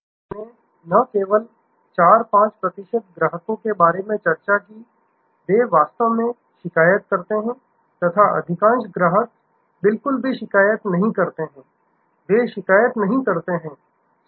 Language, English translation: Hindi, We discussed that only about 4, 5 percent customers, they actually complain and a vast majority do not complain at all, they do not complain